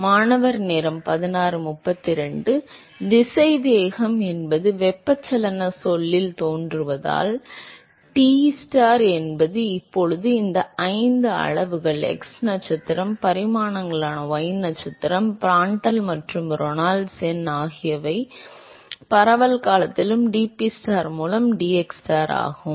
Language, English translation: Tamil, Because velocity appears in the convectional term, so therefore, Tstar is now a function of all these five quantities x star, y star which is the dimensions, Prandtl and Reynolds number which is appearing as a scaling in the diffusion term and dPstar by dxstar are the is the pressure gradient